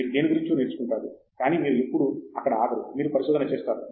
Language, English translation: Telugu, You learn about something, but you do not stop there when you do research